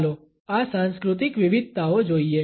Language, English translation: Gujarati, Let us look at these cultural variations